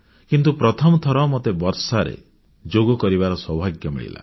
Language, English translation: Odia, But I also had the good fortune to practice Yoga in the rain for the first time